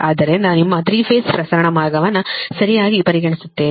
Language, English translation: Kannada, so will consider your three phase transmission line right